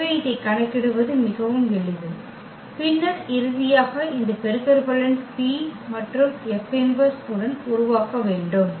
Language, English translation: Tamil, So, that is very simple to compute and then finally, we need to make this product with the P and the P inverse